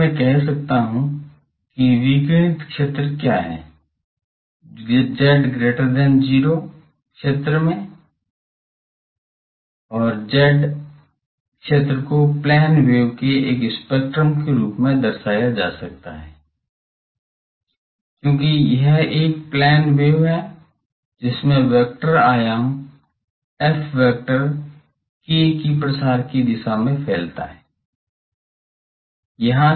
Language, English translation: Hindi, So, I can say that what is the radiated field that in the z greater than 0 zone, the field can be represented as a spectrum of plane waves, because this one is a plane wave with vector amplitude f propagating in the direction of the propagation vector k ok